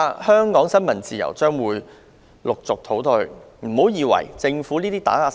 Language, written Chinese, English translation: Cantonese, 香港新聞自由未來恐怕會持續倒退。, The regression of freedom of the press is likely to go on in Hong Kong